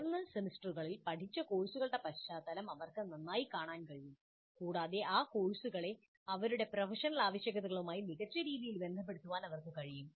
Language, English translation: Malayalam, They're able to better see the context of the course studied higher semesters and they are able to relate those courses to their professional requirements in a better fashion